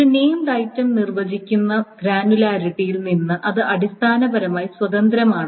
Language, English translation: Malayalam, It is essentially independent of the granularity in which a named item is defined